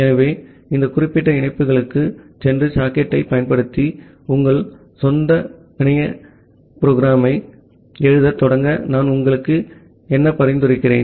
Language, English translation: Tamil, So, what I will suggest you to go to these particular links and start writing your own network programming using the socket